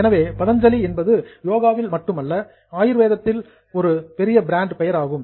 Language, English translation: Tamil, So, Patanjali is a big brand name today, not only in Yoke but also in Ayurved